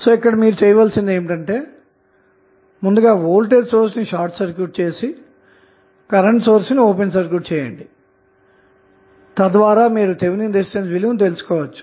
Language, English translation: Telugu, So, for that what you have to do, you have to first short circuit the voltage source and open circuit the current source so, that you can find out the value of Thevenin resistance